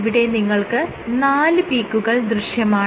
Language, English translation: Malayalam, In this case, what you see is there are 4 peaks